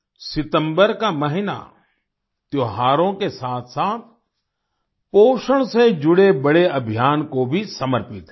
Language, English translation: Hindi, The month of September is dedicated to festivals as well as a big campaign related to nutrition